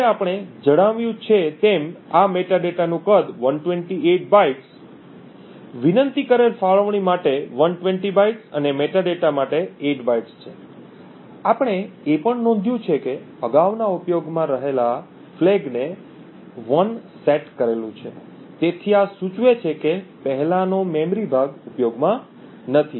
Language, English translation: Gujarati, Now the size of this metadata as we have mentioned is 128 bytes, 120 bytes for the requested allocation and 8 bytes for the metadata, we also note that previous in use flag is set to 1, so this indicates that the previous chunk of memory is not in use